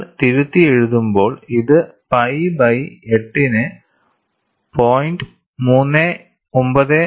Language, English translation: Malayalam, When you rewrite, you can write this as pi by 8 as 0